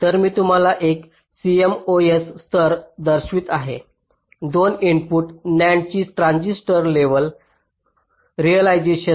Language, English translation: Marathi, so i am showing you a cmos level transistor level realization of a two input nand